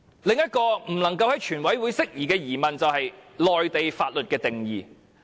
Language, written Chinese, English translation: Cantonese, 另一個不能夠在全體委員會審議階段釋疑的疑問，就是內地法律的定義。, Another doubt that cannot be dispelled during the Committee stage of the whole Council is the definition of Mainland laws